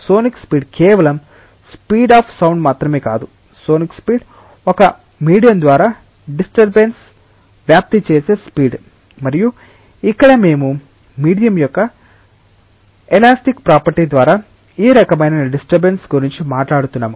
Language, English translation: Telugu, Sonic speed is not just speed of sound, sonic speed is the speed by which a disturbance propagates through a medium and here we are talking about this type of disturbance through the elastic property of the medium